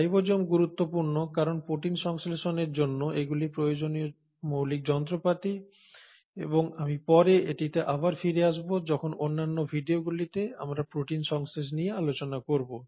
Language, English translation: Bengali, Now these ribosomes become important because they are the basic machinery which is required for protein synthesis and I will come back to this later in other videos when we are talking about protein synthesis